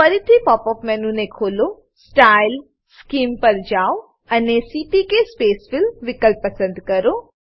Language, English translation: Gujarati, Open the pop up menu again, go to Style, Scheme and click on CPK spacefill option